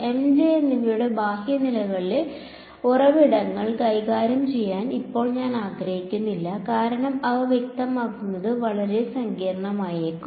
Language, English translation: Malayalam, Now I do not want to deal with the external current sources M and J because, they may be very complicated to specify